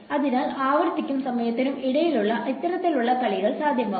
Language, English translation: Malayalam, So, these kinds of playing between frequency and time become possible